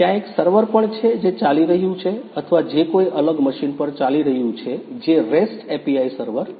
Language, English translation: Gujarati, Also there is another server which is running up or which is running on a different machine which is a REST API server